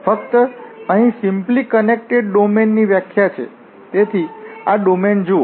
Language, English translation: Gujarati, This is what the definition of the simply connected domain just look at this domain here